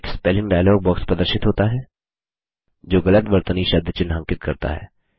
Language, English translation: Hindi, The Check Spelling dialog box appears, highlighting the misspelled word